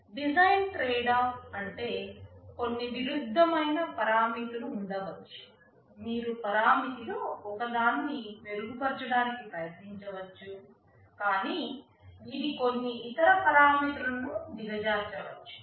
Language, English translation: Telugu, Design trade off means there can be some conflicting parameters; you can try to improve one of the parameter, but it might degrade some other parameter